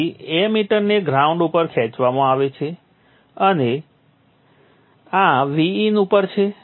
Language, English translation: Gujarati, So the emitter is pulled to the ground and this is at VIN